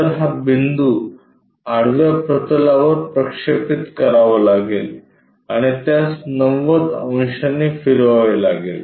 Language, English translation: Marathi, So, this point has to be projected onto horizontal plane and rotate it by 90 degrees